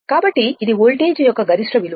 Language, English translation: Telugu, So, this is the peak value of the voltage